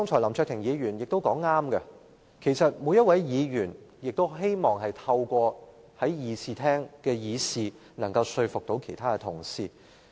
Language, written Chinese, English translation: Cantonese, 林卓廷議員剛才說得對，其實每位議員也希望透過辯論說服其他同事。, Mr LAM Cheuk - ting was right when he said just now that every Member hoped to convince other Honourable colleagues in the debate